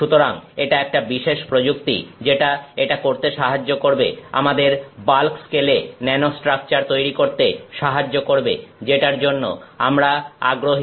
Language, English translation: Bengali, So, that is a particular technique which helps us do this, make nanostructures a sort of in the bulk scale and that is what we are interested in